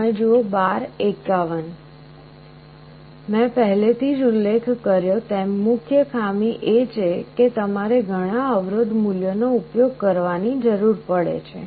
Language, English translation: Gujarati, The main drawback I already mentioned, you need to use so many resistance values